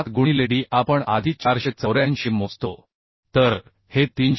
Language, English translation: Marathi, 7 into d we calculate earlier 484 So this is becoming 338